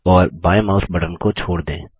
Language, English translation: Hindi, And release the left mouse button